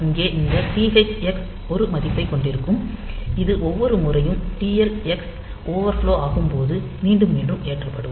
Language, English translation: Tamil, So, here this TH x will hold a value which is to be reloaded into TL x each time it overflows